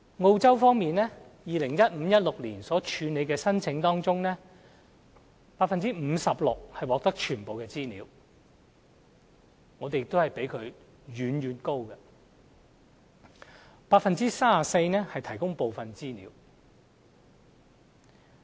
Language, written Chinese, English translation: Cantonese, 澳洲方面，在 2015-2016 年度所處理的申請中，有 56% 獲提供全部的資料，我們的數字亦遠遠比它高 ；34% 獲提供部分資料。, In Australia of all requests processed in 2015 - 2016 about 56 % were met in full and our figure is far higher than Australias . Thirty - four percent were partially met